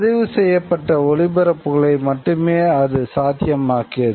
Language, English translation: Tamil, It could make recorded broadcasts possible also